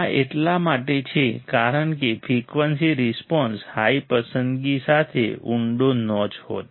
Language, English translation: Gujarati, This is because the frequency response was a deep notch with high selectivity